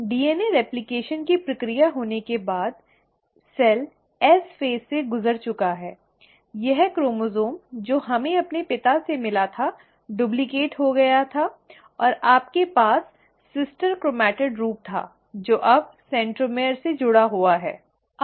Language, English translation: Hindi, Now after the process of DNA replication has happened, the cell has undergone the S phase, this chromosome that we had received from our father got duplicated and you had the sister chromatid form which is now attached with the centromere